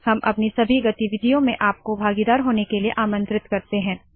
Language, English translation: Hindi, We invite your participation in all our activities